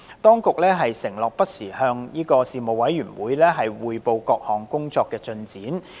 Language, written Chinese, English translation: Cantonese, 當局承諾會不時向事務委員會匯報各項工作的進展。, The Administration undertook to keep the Panel informed of the progress of various improvement works